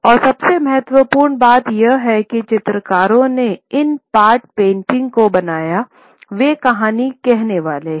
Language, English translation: Hindi, And most importantly to note that the Chitrakars who make these pot paintings, they are the storytellers